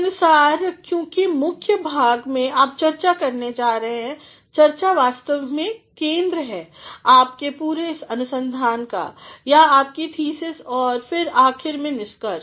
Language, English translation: Hindi, Based on, because in the body part you are going to make discussion, a discussion is actually the heart of your entire research paper or your thesis and then finally, the conclusion